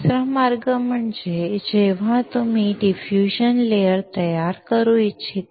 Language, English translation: Marathi, Another way is when you want to create the diffusion layer